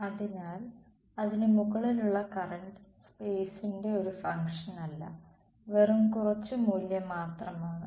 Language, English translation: Malayalam, So, the current over it is not a function of space is just some value